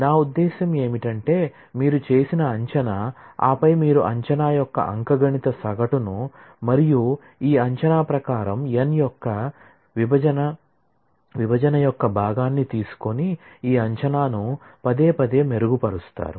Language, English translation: Telugu, I mean some guess you make and then you repeatedly refine this estimate by taking the arithmetic mean of the estimate and the quotient of the division of n by this estimate